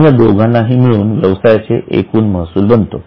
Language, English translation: Marathi, Now, both together forms the total revenue for that entity